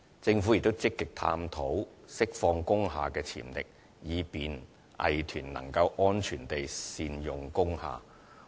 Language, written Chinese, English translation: Cantonese, 政府亦積極探討釋放工廈的潛力，以便藝團能安全地善用工廈。, Moreover the Government actively explore ways to unleash the potentials of industrial buildings to facilitate safe utilization of those buildings by arts groups